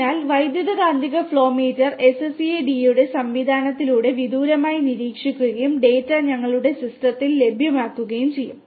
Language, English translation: Malayalam, So, the electromagnetic flow meter is monitored remotely through the SCADA system and the data will be available to us in our system